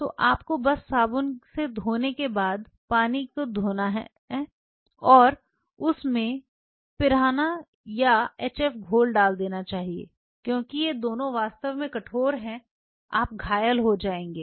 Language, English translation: Hindi, So, you just have to drain the water after washing after soap wash and in that put the piranha or the HF solution just be extremely careful because both of these are really splash you will become injured